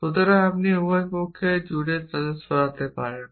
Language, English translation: Bengali, So, you can move them across on both sides